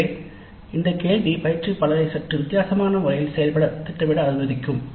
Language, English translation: Tamil, So, this question would allow the instructor to plan implementation in a slightly different fashion